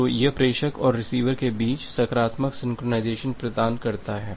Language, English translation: Hindi, So, this provides the positive synchronization among the sender and the receiver